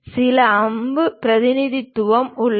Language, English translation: Tamil, And there is some arrow representation